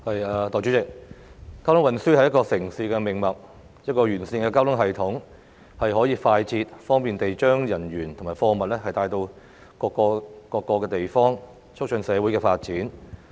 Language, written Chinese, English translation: Cantonese, 代理主席，交通運輸是一個城市的命脈，一個完善的交通系統，可以快捷、方便地將人員及貨物帶到各個地方，促進社會的發展。, Deputy President traffic and transport are the lifeline of a city . A sound transport system can carry people and goods to various places quickly and conveniently facilitating the development of society